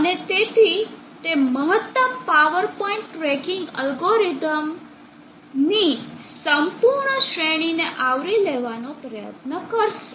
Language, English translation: Gujarati, And therefore, it will try to cover the whole range of maximum power point tracking algorithms